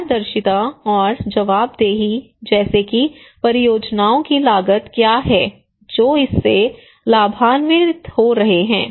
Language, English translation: Hindi, Transparency and accountability, like that what is the cost of the projects, who are benefiting out of it okay